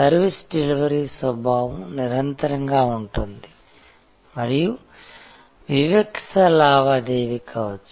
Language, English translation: Telugu, So, there is a nature of service delivery can be continuous and can be discrete transaction